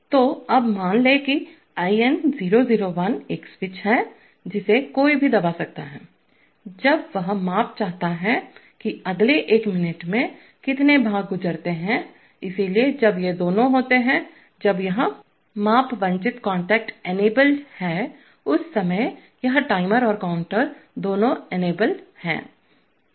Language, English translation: Hindi, So now, suppose IN001 is a switch, which, which one can press, when he wants a measurement, that over the next one minute how many parts pass, so when these two are, when this measurement desired contact is enabled, at that time both this timer and the counter are enabled